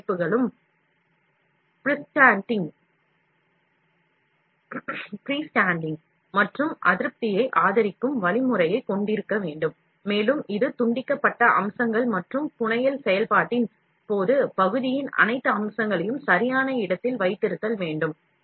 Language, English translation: Tamil, All RM systems must have a means of supporting freestanding, and discontent, and this disconnected features and for keeping all features of the part in place, during the fabrication process